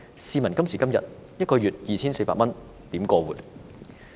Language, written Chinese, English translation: Cantonese, 試問今時今日，一個月只有 2,400 多元，可以如何過活？, Tell me by present - day standards how can one support his living with only some 2,400 a month?